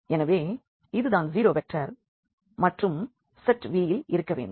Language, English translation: Tamil, So, this is called the zero vector and this must be there in the set V